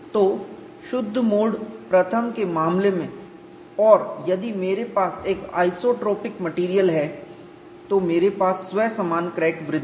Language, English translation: Hindi, So, in the case of pure mode one and if I have an isotropic material, I have self similar crack growth